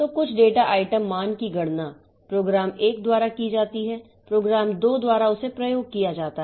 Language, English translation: Hindi, So, something computed, some data item value computed by say program 1 is used by the program 2